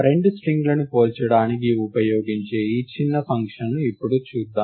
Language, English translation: Telugu, So, let us now look at this small function which is used to compare two strings